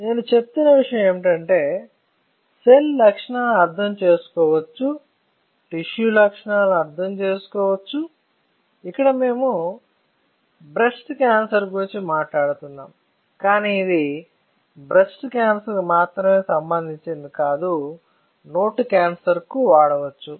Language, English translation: Telugu, So, the point that I am making is, that you can go for cells, you can understand the properties of cells, you can understand properties of tissue; we are talking about breast cancer, but that does not mean that this is only related to breast cancer, you can go for oral cancer